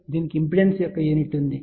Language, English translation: Telugu, It had a unit of impedance